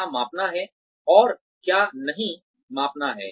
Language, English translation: Hindi, What to measure and what not to measure